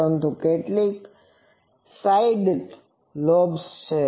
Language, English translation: Gujarati, But, how many side lobes are there